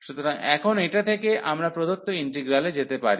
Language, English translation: Bengali, So, with this now we can approach to the given integral